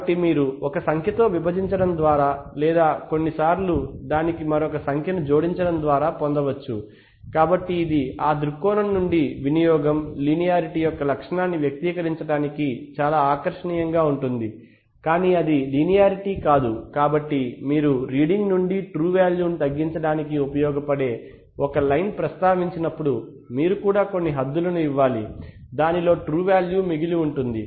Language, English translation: Telugu, So you can get just by dividing by a number or sometimes adding another number to it, so it is from that point of view from the point of view usability it is very attractive to express the characteristic of the linear one but then it is not linear, so therefore while you mention a line which can be which can be used for deducing the true value from a reading, you also have to give some bounds within which the true value will remain because it is not exactly going to because the instrument does not actually follow that line characteristics the line is only an approximation